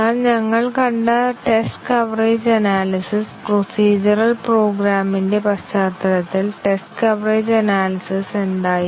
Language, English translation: Malayalam, But whatabout test coverage analysis we had seen, test coverage analysis in the context of procedural programs